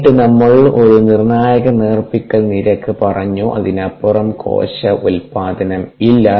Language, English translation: Malayalam, and then we obtained a critical dilution rate, ah, beyond which there is actually no cell production by the cell